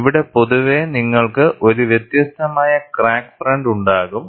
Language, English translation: Malayalam, And here, you find, in general, you will have a varying crack front